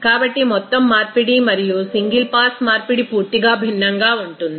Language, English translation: Telugu, So, what is comparison that overall conversion and single pass conversion will be totally different